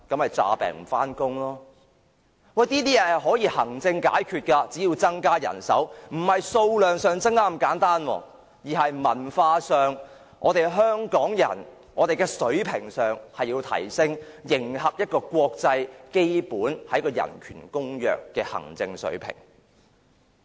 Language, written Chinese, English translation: Cantonese, 面對這些問題，其實也可以經由行政層面解決的，只要增加人手——不單在數量上增加，而是在文化上增加，提升香港人的水平，以迎合一個國際基本人權公約的行政水平。, Such problems can actually be solved through administrative means and what the Government should do is to increase the manpower―not only quantitatively but also to promote the culture of Hong Kong people in order to meet the administrative requirements under an international convention on basic human rights